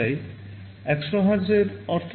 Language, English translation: Bengali, What is the meaning of 100 Hz